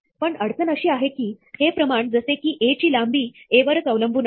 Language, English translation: Marathi, But, the problem is that, this quantity, the length of A, depends on A itself